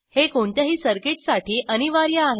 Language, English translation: Marathi, This is mandatory for any circuit